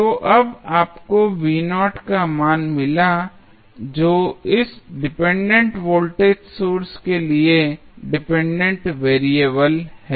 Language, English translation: Hindi, So, now, you got the value of V naught which is the dependent variable for this dependent voltage source